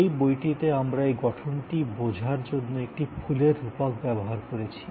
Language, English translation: Bengali, In this book, we have used a metaphor of a flower to understand this architecture